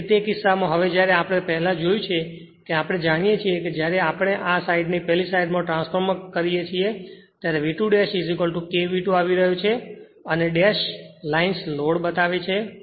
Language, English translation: Gujarati, So, in that case, your now when we earlier we have seen it know when we transform this to that side, it will be coming out V 2 dash is equal to K V 2 and dash lines shows the load